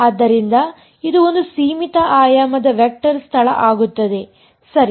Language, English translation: Kannada, So, it becomes a finite dimensional vector space ok